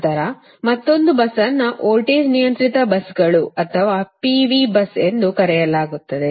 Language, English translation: Kannada, then another bus is called voltage controlled buses or p v bus